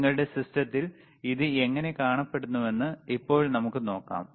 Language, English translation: Malayalam, Now let us see how it looks on your system here